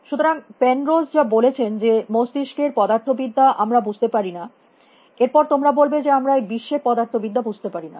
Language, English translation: Bengali, So, like Penrose was saying that the physics of the brain we do not understand, then you would be saying that we do not understand the physics of this world essentially